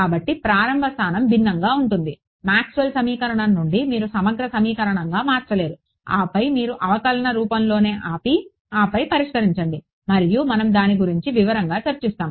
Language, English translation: Telugu, So, the starting point itself is different, from Maxwell’s equation you do not convert all the way to an integral equation and then solve you stop at the differential form itself and then solve and we will discuss in detail about it